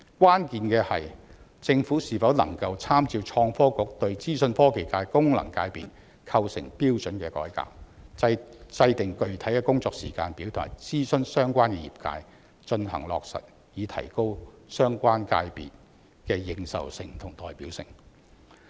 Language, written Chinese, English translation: Cantonese, 關鍵是政府是否能夠參照創新及科技局對資訊科技界功能界別構成標準的改革，制訂具體工作時間表及諮詢相關業界，予以落實，以提高相關界別的認受性和代表性。, The key is whether the Government can make reference to the Innovation and Technology Bureaus reform on the criteria for the composition of the Information Technology FC formulate a specific timetable consult the sector concerned and implement the proposal so as to enhance the recognition and representativeness of the sector concerned